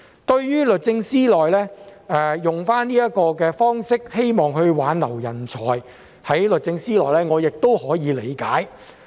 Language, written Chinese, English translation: Cantonese, 對於律政司採用這種方式，希望挽留部門內的人才，我也可以理解。, I understand that DoJ has adopted this approach to retain the talents in the department